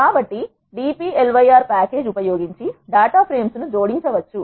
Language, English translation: Telugu, And how to combine 2 data frames using the dplyr package